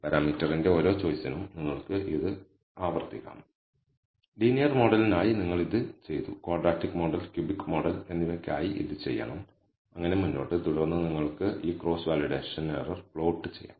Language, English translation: Malayalam, Now, you can you have to repeat this for every choice of the parameter, you have done this for the linear model you have to do this for the quadratic model cubic model and so on, so forth and then you can plot this cross validation error for leave or for this k fold cross validation